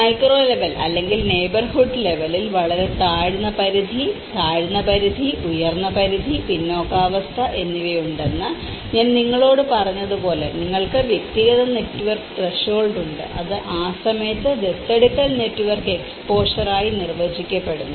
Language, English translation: Malayalam, And with the micro level or the neighbourhood level, as I told you that there is a very low threshold, low threshold, high threshold and the laggards, so you have the personal network threshold which is defined as an adoption network exposure at the time of adoption, exposure is a proportion of adopters in an individual's person network at a point of time